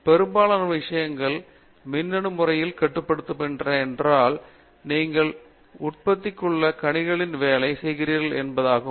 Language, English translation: Tamil, Most of the things are electronically controlled which means, you are working with embedded systems